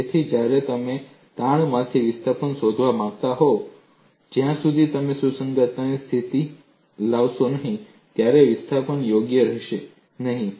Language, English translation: Gujarati, So, when you want to find out displacement from strain, unless you bring in compatibility conditions, the displacement will not be correct